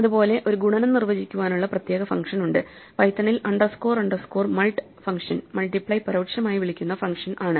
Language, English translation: Malayalam, In the same way, we could have a special way of defining multiplication, and in python the underscore underscore mult function is the one that is implicitly called by multiply